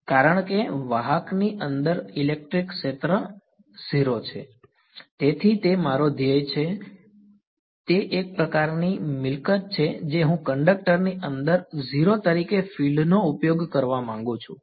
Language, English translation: Gujarati, E right because inside a conductor electric field is 0; so I that is the goal, that is the sort of property I want to utilize fields inside a conductor as 0